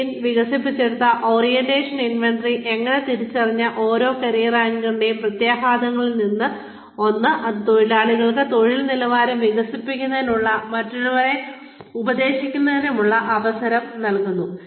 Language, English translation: Malayalam, Orientation inventory, developed by Schien, the implications for each career anchor, so identified, are one, it gives the worker, an opportunity to develop work standards, and to mentor others